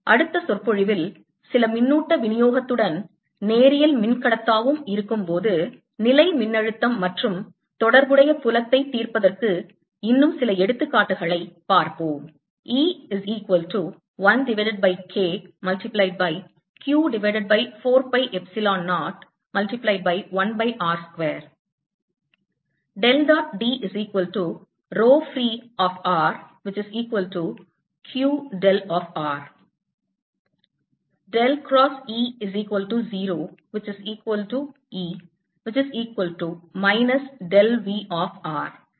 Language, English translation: Tamil, the next lecture will take a few more examples of solving for electrostatic potential and related field when in dielectric represent in to, along with some charge distribution